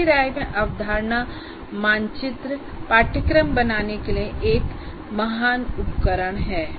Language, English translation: Hindi, In my personal opinion, concept map is a great thing to create for a course